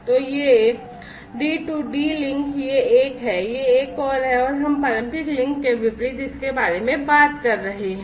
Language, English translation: Hindi, So, these are the D2D links this is one, this is another and we are talking about it in contrast to the traditional links